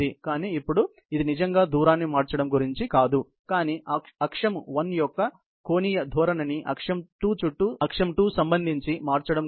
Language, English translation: Telugu, But now, it is not about really changing the distance, but about changing the angular orientation of the axis 1, with respect to that of axis 2 ok